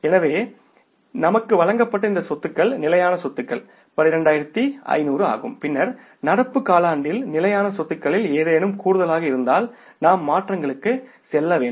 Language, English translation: Tamil, So these assets given to us are fixed assets are 12,500s and then we have to go for the adjustments if there is any addition in the fixed assets in the current quarter